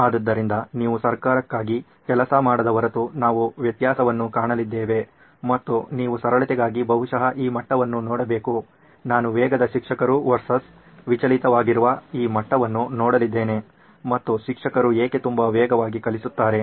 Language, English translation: Kannada, So we have reached the place where unless you work for the government and you can make a difference you should probably look at this level for simplicity sake I am going to look at this level which is distracted versus fast teacher and why does the teacher teach very fast